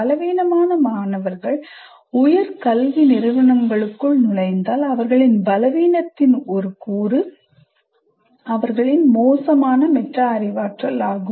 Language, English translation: Tamil, By the time the students enter the higher education institution and if they are weak students and one of the elements of their weakness is the is poor metacognition